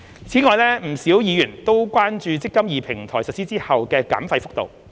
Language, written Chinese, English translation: Cantonese, 此外，不少議員都關注"積金易"平台實施後的減費幅度。, Moreover many Members are concerned about the extent of fee reduction after the implementation of the MPF System